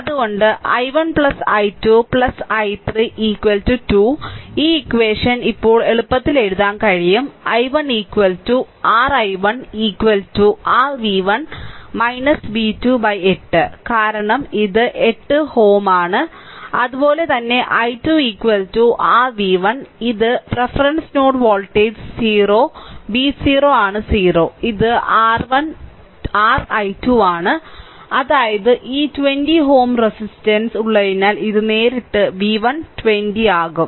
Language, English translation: Malayalam, So, i 1 plus i 2 plus i 3 is equal to 2 this equation is we can easily write right at now i 1 is equal to your i 1 is equal to your v 1 minus v 2 by 8 because it is 8 ohm, similarly i 2 is equal to your v 1 this reference node voltage is 0 v 0 is 0 this is your i 2 ; that means, it will be directly v 1 by 20 because this 20 ohm resistance is there